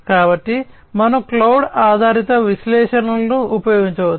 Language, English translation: Telugu, So, we can use cloud based analytics